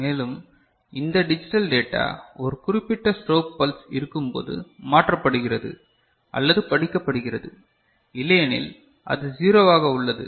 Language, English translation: Tamil, And, this digital data is shifted or read, when a particular strobe pulse is there otherwise it will remain at 0 0 ok